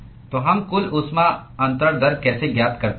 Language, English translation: Hindi, So, how do we find the total heat transfer rate